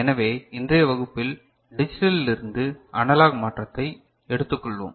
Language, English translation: Tamil, So, in today’s class we shall take up digital analog digital to analog conversion